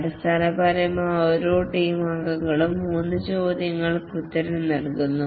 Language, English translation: Malayalam, Basically, each team member answers three questions